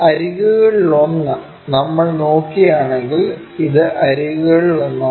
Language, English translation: Malayalam, One of the edges, if we are looking this is one of the edge